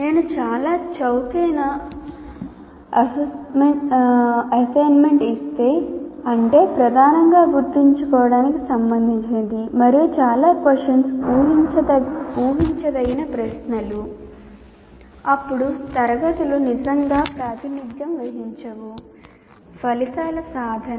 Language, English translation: Telugu, If I give a very cheap assignment, that means only everything predominantly related to remember and also very predictable questions that I give, then if assessment is poor, then grades really do not represent